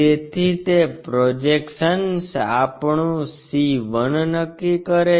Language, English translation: Gujarati, So, that projection determines our c 1